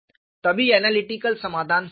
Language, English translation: Hindi, Only then the analytical solution is correct